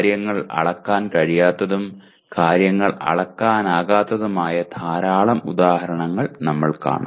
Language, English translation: Malayalam, We will see plenty of examples where things are not measurable, where things are measurable